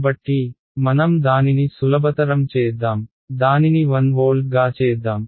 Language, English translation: Telugu, So, let us make that simple, let us even just make it 1 volt